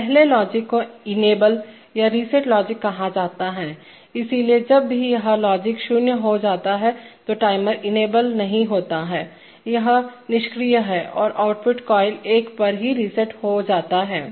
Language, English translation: Hindi, So first is called the enable or reset logic, so whenever this logic becomes zero, the timer is not enabled, it is inactive and the output coil is reset to1